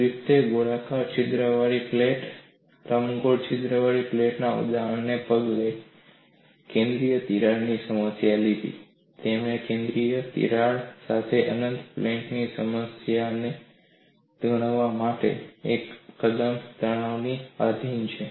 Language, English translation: Gujarati, Griffith took the problem of a central crack following the example of a plate with the circular hole, a plate with the elliptical hole; he considered the problem of an infinite plate with the central crack subjected to uniaxial tension